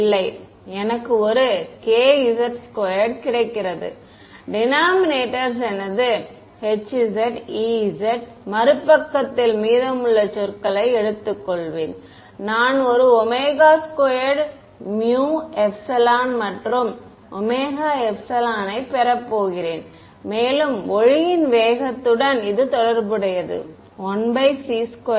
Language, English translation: Tamil, No right, I get a k z squared, denominators going to be my h z e z let me take the rest of the terms on the other side, I am going to get an omega squared mu epsilon and mu epsilon can be related to the speed of light, 1 by c squared right